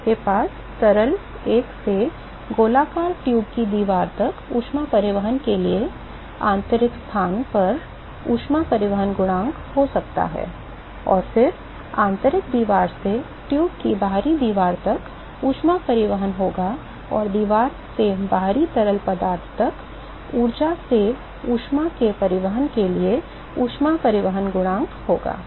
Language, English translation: Hindi, So, you could have a heat transport coefficient at the internal location for heat transport from fluid one to the wall of the circular tube, and then there will be heat transport from the inner wall to the outer wall of the tube and there will be heat transport coefficient for transport of heat from energy from the wall to the outside fluid